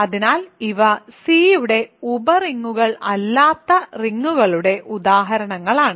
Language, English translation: Malayalam, So, these are examples of rings that are not sub rings of C ok